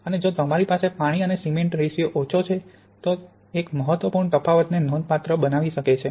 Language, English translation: Gujarati, And if you have very low water cement ratio then this can make quite an important difference